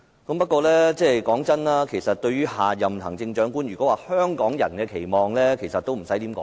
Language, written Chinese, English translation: Cantonese, 不過，說真的，其實對於下任行政長官，如果要提到香港人的期望，其實已不用多說。, Honestly with regard to the next Chief Executive we need not elaborate Hong Kong peoples expectation anymore